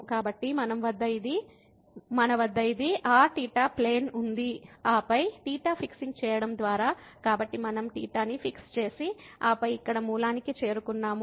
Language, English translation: Telugu, So, if we have this is our theta plane, and then by fixing theta; so if we have fixed theta and then approaching to origin here